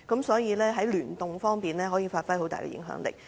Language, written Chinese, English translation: Cantonese, 所以，在聯動方面，可以發揮很大的影響力。, Hence in terms of collaboration it can exercise very great influence